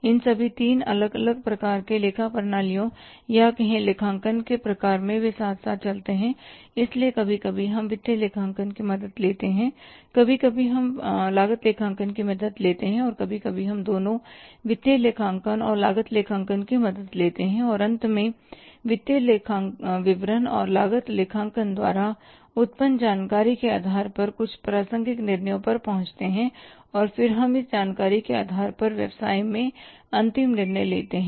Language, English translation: Hindi, So, sometime we will be taking the help of financial accounting, sometime we will be taking the help of cost accounting, sometime we taking the help of both financial and cost accounting and finally, say arriving at some relevant decisions on the basis of the information which is generated by the financial accounting and cost accounting and then we are say depending upon this information and taking the final decisions in the business